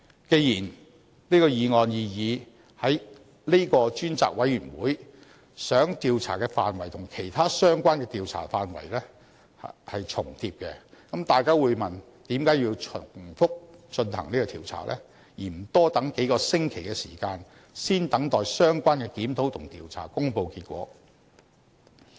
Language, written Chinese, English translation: Cantonese, 既然本議案擬議的這個專責委員會想調查的範圍與其他相關的調查範圍重疊，這樣大家會問，為何要重複進行調查，而不多等數個星期，先等相關的檢討和調查公布結果？, Given that the scope of investigation of the proposed select committee in this motion is duplicating with the scope of other related investigations we will then ask why we have to carry out a superfluous investigation instead of waiting for a few more weeks for the results of the related reviews and investigation to be released first?